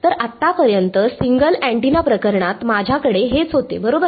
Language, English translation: Marathi, So, so far this is what I had in the single antenna case now right